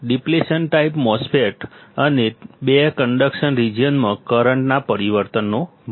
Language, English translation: Gujarati, Depletion type MOSFET and the 2 in conduction region, the great of change of current